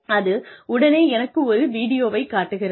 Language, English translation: Tamil, There is a video, that shows me